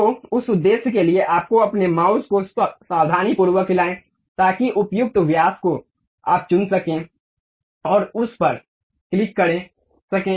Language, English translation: Hindi, So, for that purpose, you have to carefully move your mouse, so that suitable diameter you can pick and click that